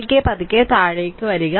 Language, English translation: Malayalam, So, slowly and slowly come down